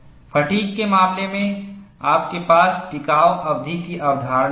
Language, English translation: Hindi, In the case of fatigue, you have a concept of endurance limit